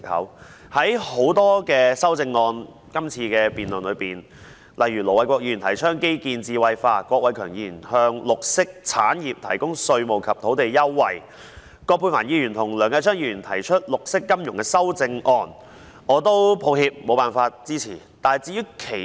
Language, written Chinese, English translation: Cantonese, 這次辯論的很多修正案中，盧偉國議員提倡基建智慧化，郭偉强議員提出向綠色產業提供稅務及土地優惠，葛珮帆議員和梁繼昌議員提出發展綠色金融，我無法支持這些修正案。, In their amendments Ir Dr LO Wai - kwok proposes to promote intellectualization of infrastructure Mr KWOK Wai - keung proposes to provide tax and land concessions to green industries and Dr Elizabeth QUAT and Mr Kenneth LEUNG propose to develop green finance